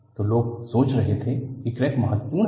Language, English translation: Hindi, So, people were thinking crack is important